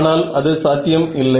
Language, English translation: Tamil, Of course, that is not possible